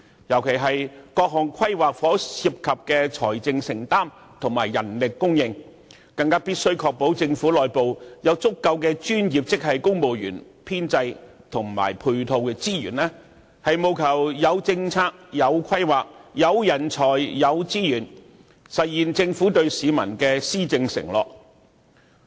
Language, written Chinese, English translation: Cantonese, 特別於各項規劃所涉及的財政承擔和人力供應，便更加必須確保政府內部有足夠的專業職系公務員編制和配套資源，務求有政策、有規劃、有人才、有資源，實現政府對市民的施政承諾。, With regard to the financial commitment and manpower supply in various planning exercises the Government has a particular obligation to ensure an adequate availability of professional grade personnel in the civil service establishment and ancillary resources internally so that we have the necessary policies planning talents resources to realize the policy undertakings pledged to the people